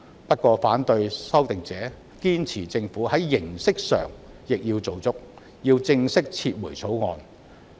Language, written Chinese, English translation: Cantonese, 不過，反對修訂者堅持要政府在形式上亦做足，正式撤回《條例草案》。, Nonetheless opponents of the legislative amendment insist that the Government should complete the formal procedure by officially withdrawing the Bill